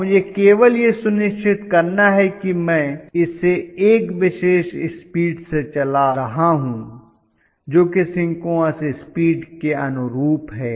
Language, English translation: Hindi, And I have to only make sure that I run it at a particular speed which is corresponding to synchronous speed that is about it nothing more than that